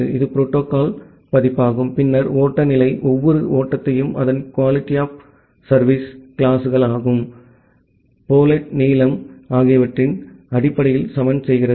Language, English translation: Tamil, This is the protocol version, then the flow level, leveling every flow based on its QoS classes, the payload length